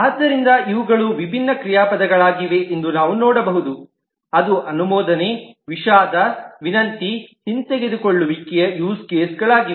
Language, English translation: Kannada, So on this we can see that these are different verbs which approve, regret, request, revoke become use cases